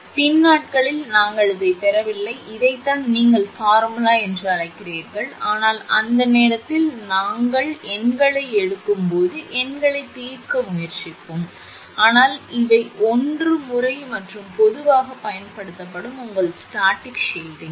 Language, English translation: Tamil, So, this is later the we are we are not deriving this is your what you call this much formula or anything for that, but when we will take the numerical on this at that time we will try to solve the numerical, but these are one method and commonly used also that your static shielding